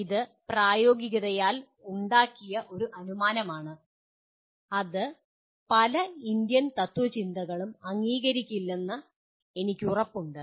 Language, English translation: Malayalam, This is an assumption that is made by pragmatism, with which I am sure many Indian schools of philosophy will not agree